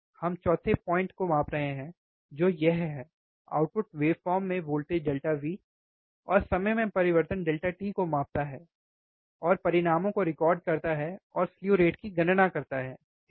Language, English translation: Hindi, We are measuring the 4th point which is this one, measure the voltage delta V, and time change delta t of output waveform, and record the results and calculate the slew rate, alright